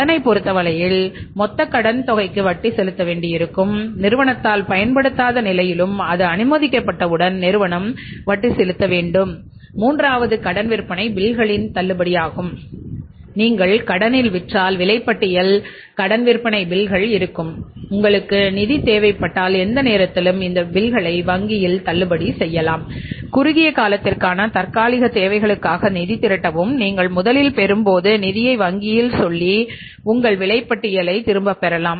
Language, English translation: Tamil, Here in case of the loan you have to pay the interest on the total loan amount which is sanctioned irrespective of the fact the loan is whether the loan is utilizedised by the firm or not utilised by the firm once it is sanctioned the firm has to pay the interest on that and third is the discounting of the credit sale bills that if you sell on credit you will have invoices credit sale bills and any time if you need funds you can discount these bills with the banks and raise the finance for the temporary requirements for the short while and as in when you get the funds you can return the funds back to the bank and get your invoices back